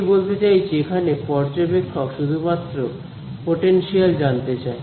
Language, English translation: Bengali, This observer standing over here wants to find out the potential